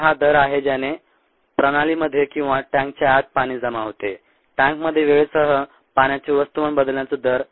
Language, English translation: Marathi, so this is the rate at which water gets accumulated inside the system or inside the tank, the rate of change of water mass with time in the tank